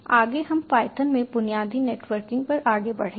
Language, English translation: Hindi, next will move on to basic networking in python